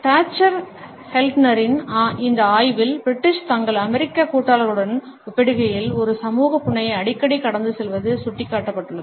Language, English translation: Tamil, It has been pointed out in this study by Dacher Keltner that the British more often pass a social smile in comparison to their American partners